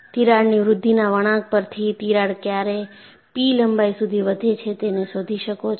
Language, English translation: Gujarati, On the crack growth curve you can find out, when does the crack grows to the length a p